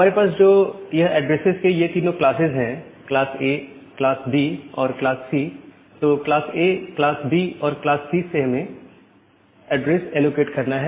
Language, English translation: Hindi, So, the 3 address, 3 classes of address that we have this class A class B and class C from class A class A, class B B or class C address